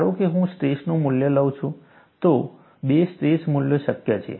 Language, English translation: Gujarati, Suppose, I take a strain value, two stress values are possible